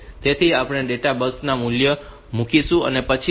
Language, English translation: Gujarati, So, we will place the value on to the databus and it will come then